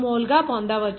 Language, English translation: Telugu, 102 mole per second